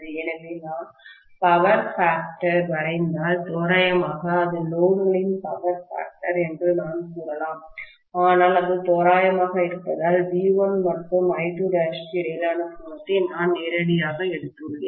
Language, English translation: Tamil, So, if I draw the power factor, approximately I can say maybe this is the power factor of the load, but that is approximation because I have taken directly the angle between V1 and I2 dash